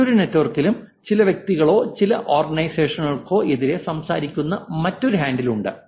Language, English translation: Malayalam, And there's another handle which is speaking against some persons or some organization in a different network